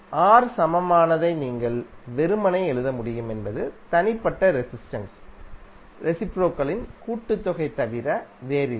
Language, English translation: Tamil, It means that you can simply write R equivalent is nothing but reciprocal of the summation of the reciprocal of individual resistances, right